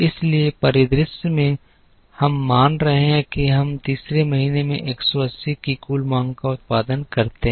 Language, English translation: Hindi, In this scenario we are assuming we produce the total demand of 180 in the third month